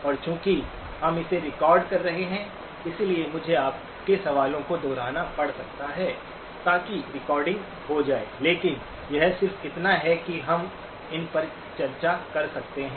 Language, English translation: Hindi, And since we are recording it, I may have to repeat your questions so that the recording will happen, but it is just so that we can discuss somethings